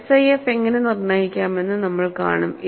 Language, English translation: Malayalam, And we would see how SIF can be determined